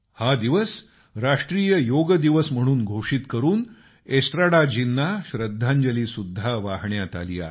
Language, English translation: Marathi, By proclaiming this day as National Yoga Day, a tribute has been paid to Estrada ji